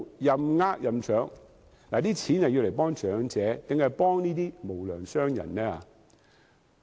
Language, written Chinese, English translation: Cantonese, 這些金錢是幫助長者，還是幫助這些無良商人呢？, Are we spending the money to help the elderly people or the unscrupulous traders?